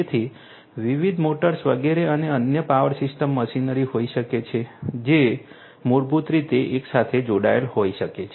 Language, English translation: Gujarati, So, different motors etcetera and there could be different other power systems machinery which could be basically connected together